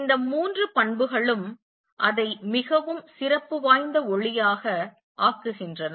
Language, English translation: Tamil, And all these three properties make it a very special light